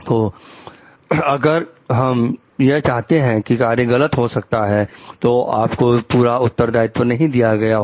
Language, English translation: Hindi, So, if we find like the act is wrong maybe, you should not have been given the full responsibility